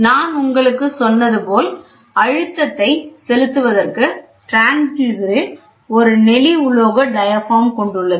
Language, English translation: Tamil, So, as I told you the transducer comprises of a corrugated metal diaphragm on which the pressure is applied